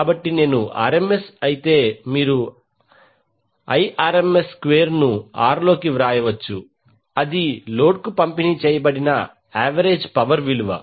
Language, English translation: Telugu, So, if I is RMS then you can write I RMS square into R that is the value of average power delivered to the load